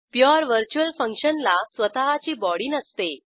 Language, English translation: Marathi, A pure virtual function is a function with no body